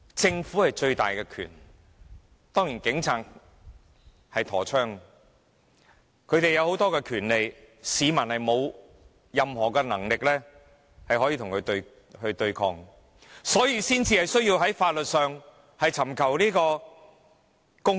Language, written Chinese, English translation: Cantonese, 政府擁有最大的權力，警察有佩槍，他們有許多權力，市民沒有任何能力與他們對抗，因此才需要在法律上尋求公義。, The Government has the greatest power . Police officers are armed with guns and many powers . The people do not have any power to confront the Police hence they have to seek justice through legal channels